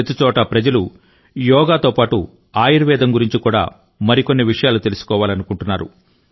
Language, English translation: Telugu, People everywhere want to know more about 'Yoga' and along with it 'Ayurveda' and adopt it as a way of life